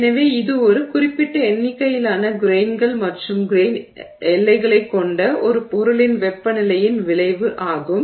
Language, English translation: Tamil, And so this is the effect of temperature on a material which has a certain number of grains and grain boundaries